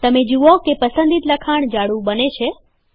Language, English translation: Gujarati, You see that the selected text becomes bold